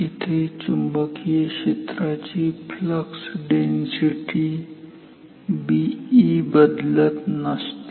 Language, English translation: Marathi, Here at least the magnetic field flux density b e is not changing